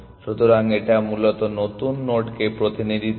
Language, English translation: Bengali, So, this one represents that new nodes essentially